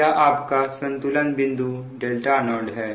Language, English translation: Hindi, this is the equilibrium point